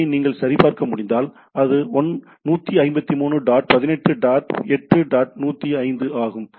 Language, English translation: Tamil, If you can check that particular IP, so it is 153 dot 18 dot 8 dot 105